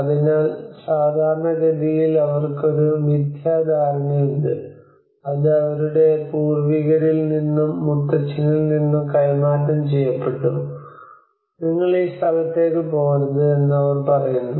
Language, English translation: Malayalam, So normally they have a myths which has been transferred from their forefathers and grandfathers where they say that you don not go to this place